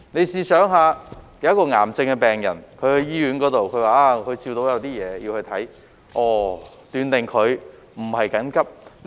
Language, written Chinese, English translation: Cantonese, 試想想，一名癌症病人去醫院，表示照到有些東西，要看診，被斷定為非緊急個案。, Let us consider the following scenario . A cancer patient goes to hospital saying that his scan results indicate something unusual . Upon medical consultation he is diagnosed with non - urgent conditions